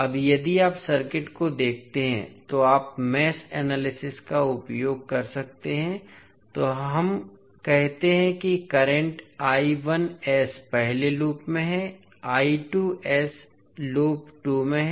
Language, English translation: Hindi, Now, if you see the circuit you can utilize the mesh analysis so let us say that the current I1s is in the first loop, I2s is in loop 2